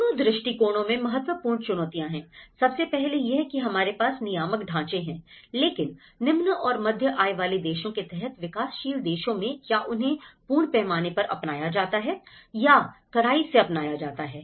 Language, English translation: Hindi, The important challenge in both the approaches is, first of all, we do have the regulatory frameworks but in the developing countries under low and middle income countries to what extend they are adopted in a full scale or strictly they have been adopted